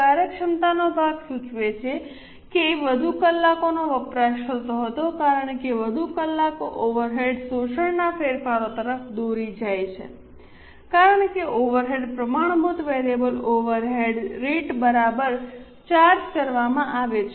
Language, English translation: Gujarati, Efficiency part indicates that more hours were consumed because more hours leads to changes of overhead absorption because the overheads are being charged at standard variable overhead rate